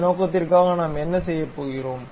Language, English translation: Tamil, For that purpose, what we are going to do